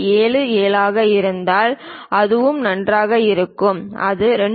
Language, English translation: Tamil, 77 that is also perfectly fine, if it is something like 2